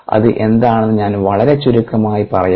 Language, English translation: Malayalam, ok, let me briefly tell you what it is